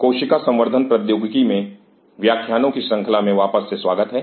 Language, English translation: Hindi, Welcome back to the lecture series in a Cell Culture Technology